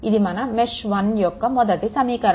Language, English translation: Telugu, This is a first equation for mesh 1